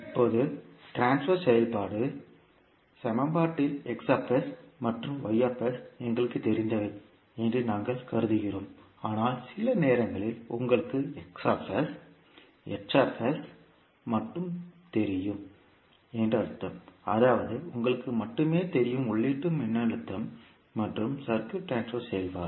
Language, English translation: Tamil, Now, in the transfer function equation we assume that X s and Y s are known to us, but sometimes it can happen that you know only X s, H s at just that means you know only the input voltage and the transfer function of the circuit